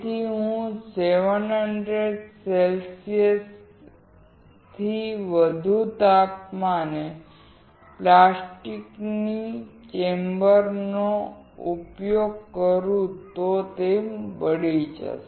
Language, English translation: Gujarati, If I use plastic at 700oC or more, it will burn